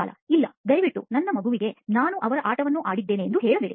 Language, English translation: Kannada, No, please don’t tell my kid that I played his game